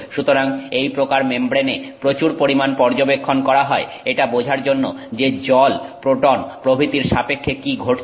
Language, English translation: Bengali, So, a lot of study has gone on to the, on this membr these sorts of membranes to understand what is happening there with respect to water, with respect to the proton, etc